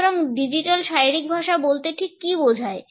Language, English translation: Bengali, So, what exactly the phrase digital body language refers to